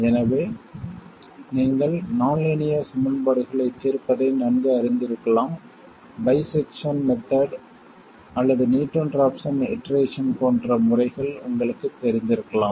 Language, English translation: Tamil, So, you may be familiar with solving nonlinear equations, you may be familiar with methods like bisection method or Newton Rapson iteration and so on